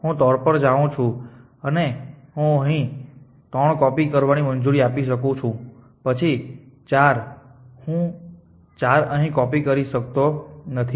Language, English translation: Gujarati, So, I want to copy 2 here, but I cannot copy 2 I go to 3 and I can am allow to copy with 3 here than 4 I cannot copy here